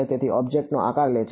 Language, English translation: Gujarati, So, takes the shape of the object